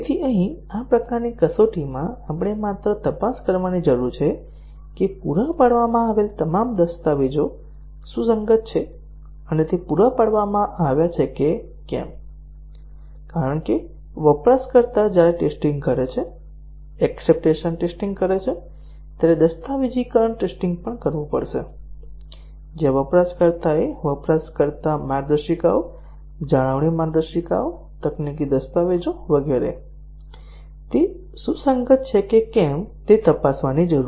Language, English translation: Gujarati, So, here in this type of test we just need to check whether all the provided documents are consistent and they have been provided; because the user when doing testing, acceptance testing, will also have to do the documentation test, where the user need to check whether the user guides, maintenance guides, technical documents, etcetera, they have been provided are consistent